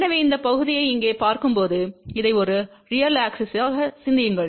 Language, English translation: Tamil, So, when we look at this part here, think about this as a real axis